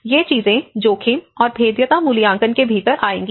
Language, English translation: Hindi, So, all these things will come under within the risk and vulnerability assessment